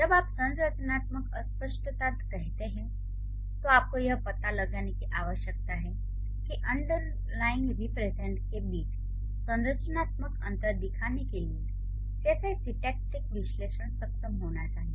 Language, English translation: Hindi, So when you say structural ambiguity, you need to find out how syntactic analysis have to be capable of showing structural distinctions between the underlying representation